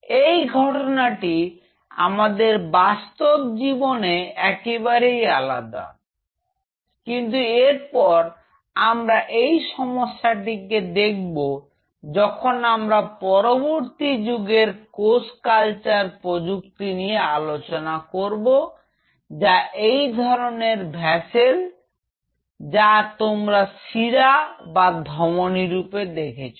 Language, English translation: Bengali, Which is absolutely different from what happens in the real life, but then how we could get around this problem that will introduce us to the world of the next gen cell culture technologies which will be just like these kinds of vessels, what you see the arteries and the veins